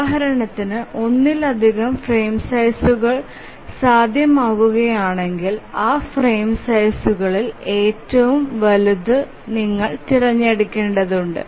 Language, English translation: Malayalam, If we find that multiple frame sizes become possible, then we need to choose the largest of those frame sizes